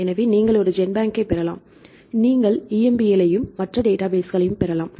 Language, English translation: Tamil, So, we can get a GenBank, you can get the EMBL also other databases right